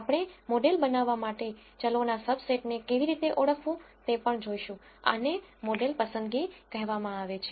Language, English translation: Gujarati, We will also look at how to identify the subset of variables to build the model, this is called model selection